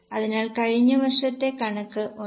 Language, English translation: Malayalam, So, last year's figure into 1